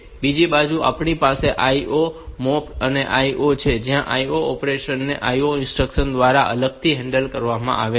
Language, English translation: Gujarati, On the other hand, we have got these IO mapped IO where this IO operations are handled separately as the through the IO instruction